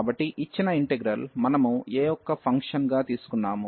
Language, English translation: Telugu, So, the given integral, we have taken as a function of a